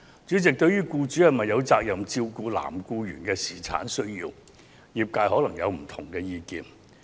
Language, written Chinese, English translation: Cantonese, 主席，對於僱主有否責任照顧男性僱員的侍產需要，業界可能持不同意見。, President the industry may hold dissenting views on the question of whether employers are obliged to cater for the paternity needs of their male employees